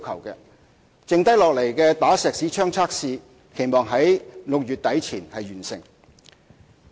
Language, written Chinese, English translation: Cantonese, 餘下的"打石屎槍"測試，期望於6月底前完成。, It is expected that the remaining Schmidt Hammer Tests could be completed by the end of June